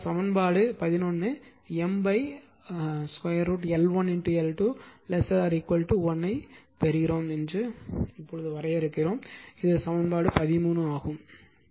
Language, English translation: Tamil, Therefore, some equation 11, we define that will get M by root over L 1 upon L 2 less than equal to 1 this is equation 13